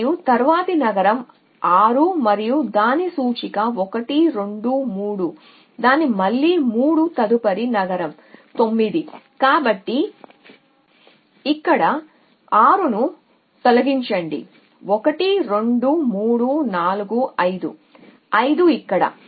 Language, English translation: Telugu, And next cities 6 and its indexes 1 2 3 its again 3 next cities 9 so remove 6 from here 1 2 3 4 5, 5 here we remove that the next 3 which is 2 here